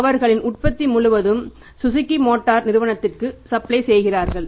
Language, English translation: Tamil, But the small companies they are supplying to Suzuki motors for number of reasons